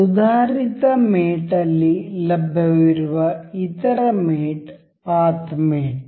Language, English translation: Kannada, The other mate available in the advanced mate is path mate